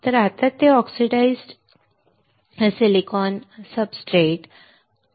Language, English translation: Marathi, So now, it is oxidized silicon substrate